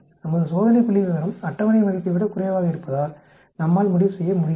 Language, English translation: Tamil, We cannot conclude because our test statistics is less than the table value